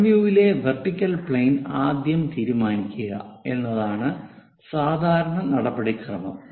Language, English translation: Malayalam, The standard procedure is first decide the vertical plane front view